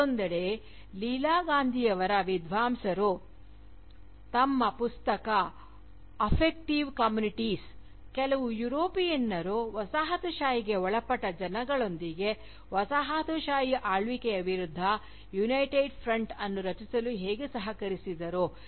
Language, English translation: Kannada, On the other hand, Scholars like Leela Gandhi for instance, in her Book, Affective Communities, has foregrounded, how some Europeans collaborated with Colonised subjects, to form a United Front, against Colonial rule